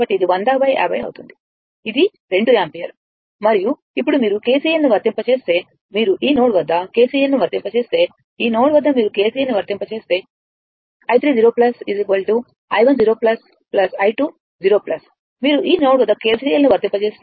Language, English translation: Telugu, So, it will be your 100 by 50; that is your 2 ampere, and now, if you apply if you apply your KCL, if you apply KCL at this node, at this node if you apply KCL, so, i 3 0 plus is equal to i 1 0 plus plus i 2 0 plus you apply KCL at this node if you do